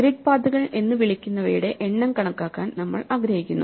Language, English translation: Malayalam, So, we want to count the number of what are called grid paths